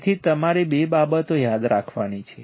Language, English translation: Gujarati, So, two things you have to remember right